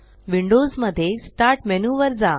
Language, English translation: Marathi, In Windows go to the Start menu